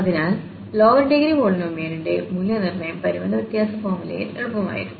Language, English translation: Malayalam, So, the evaluation of the lower degree polynomial was easier in the finite difference formula